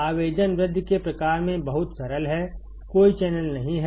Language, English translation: Hindi, The application is very simple in enhancement type; there is no channel